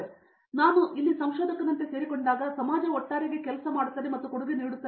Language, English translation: Kannada, But then once I joined here like researcher is a someone who actually works and contributes to the society as a whole